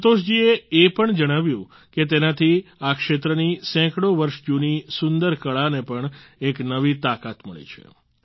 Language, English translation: Gujarati, Santosh ji also narrated that with this the hundreds of years old beautiful art of this region has received a new strength